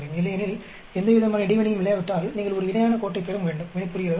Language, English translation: Tamil, Otherwise, if there is no interaction you should get approximately a parallel line, understand